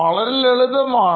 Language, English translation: Malayalam, So this is easy